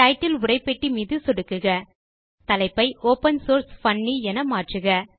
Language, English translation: Tamil, Click on the Title text box and change the title to Opensource Funny